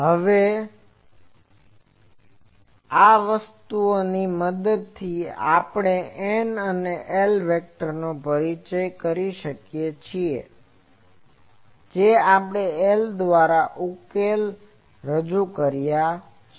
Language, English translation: Gujarati, Now, with this thing we can introduce those N and L vectors that we have introduced from the solutions this L